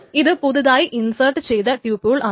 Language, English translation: Malayalam, So this is a new tuple that is being inserted